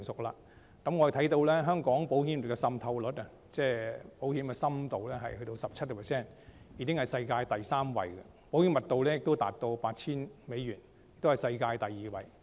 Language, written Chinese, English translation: Cantonese, 我們看到香港保險業的浸透率，即保險的深度達 17%， 已經是世界第三位；保險的密度達 8,000 美元，是世界第二位。, the insurance depth in Hong Kong has reached 17 % already the third highest in the world and the insurance density has reached 8,000 the second highest in the world